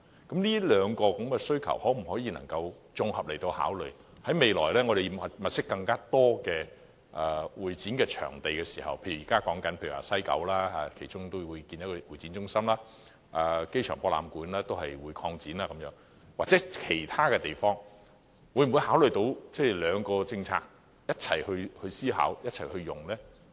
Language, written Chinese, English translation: Cantonese, 當局能否綜合考慮這兩項需求，未來物色更多會展場地時，例如現在討論將會在西九興建會展中心、亞博館擴展等，又或是其他場地，考慮在政策上容納設施供不同活動共同使用呢？, Can the authorities consider these two needs in the same light and when seeking in the future more CE venues such as the construction of a CE centre in West Kowloon currently under discussion the expansion of the AsiaWorld - Expo or other venues accommodate as a matter of policy the share use of facilities by different activities?